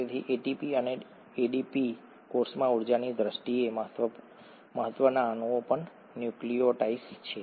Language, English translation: Gujarati, So ATP and ADP the energetically important molecules in the cell, are also nucleotides